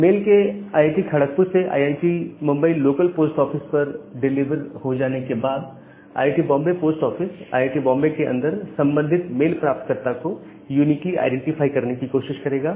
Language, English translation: Hindi, So, once the mail is being delivered at IIT, Bombay local post office; from IIT, Kharagpur post office then the Bombay post office will try to uniquely identify that person inside IIT, Bombay and deliver the mail to that particular person